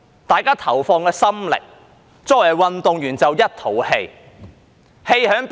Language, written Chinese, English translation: Cantonese, 大家投放了心力，但作為運動員的卻一肚子氣。, People have put their heart and soul into it but athletes feel very angry